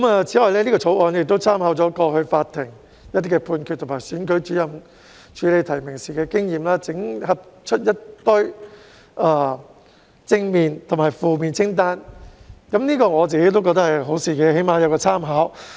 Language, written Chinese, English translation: Cantonese, 此外，《條例草案》參考過往法庭判決及選舉主任處理提名時的經驗，整合出正面及負面清單，我個人認為這是好事，至少可供參考。, In addition a positive list and a negative list are drawn up under the Bill with reference to previous court judgments and Returning Officers experience in handling nominations . I personally find this a good idea as the lists can at least be used for reference